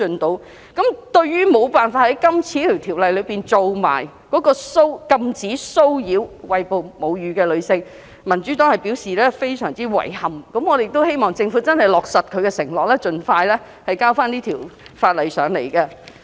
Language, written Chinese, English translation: Cantonese, 對於無法在《條例草案》一併禁止騷擾餵哺母乳的女性，民主黨表示非常遺憾，希望政府落實承諾，盡快提交有關法案。, The Democratic Party expresses regrets that the Government is unable to prohibit harassment against breastfeeding women in this Bill . We hope that the Government will fulfil its promise and submit another bill as soon as possible